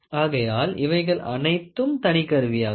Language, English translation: Tamil, So, all these things are individual equipment